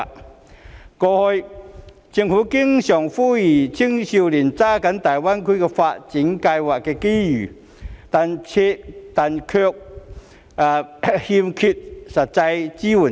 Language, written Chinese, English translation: Cantonese, 政府過去經常呼籲青少年要抓緊大灣區的發展機遇，但卻欠缺實際支援。, In the past the Government often appealed to young people to seize the development opportunities in GBA without any practical support